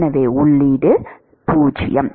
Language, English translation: Tamil, So input is 0